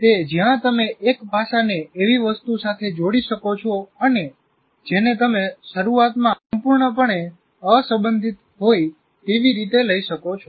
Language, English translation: Gujarati, That's where you can relate one aspect to something you may consider initially totally unrelated